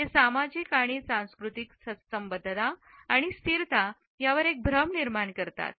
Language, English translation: Marathi, They create an illusion of social and cultural affiliation and stability